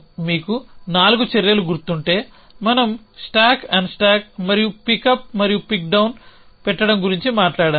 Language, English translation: Telugu, If you remember there a 4 actions we talked about stack unstack and pick up and put down